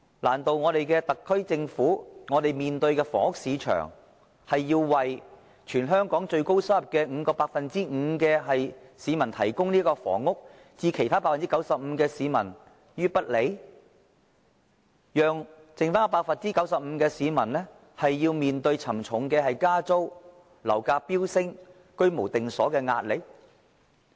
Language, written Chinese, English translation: Cantonese, 難道對特區政府來說，我們的房屋市場是要為全香港最高收入的 5% 市民提供房屋，而對其他 95% 的市民卻置之不理？讓餘下 95% 的市民面對沉重的加租、樓價飆升、居無定所的壓力？, Can it be said that as far as the SAR Government is concerned the purpose of our housing market is to provide housing for only 5 % of people with the highest income in Hong Kong while the need of the remaining 95 % of people should be ignored and to let the remaining 95 % of people to face the pressure of hefty rental increase sky - rocketing property prices and no fixed abode?